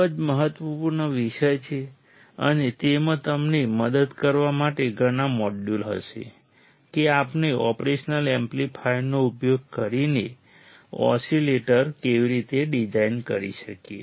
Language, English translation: Gujarati, F G H I O ` a d w x † ‡ ˆ ‹ § Â Ñ æ ì ó b ” ˜ ž ž ¢ £ ¤ ¥ ¨ ª Ã Ç â æ j]¦ jYä hß~ hß~ hß~ it will have several modules to help you out on how we can design oscillators using operational amplifiers